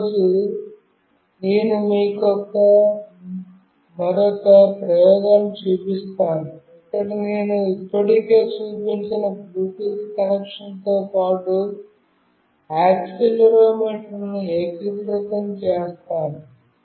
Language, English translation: Telugu, Today, I will show you another experiment, where I will integrate accelerometer along with the Bluetooth connection that I have already shown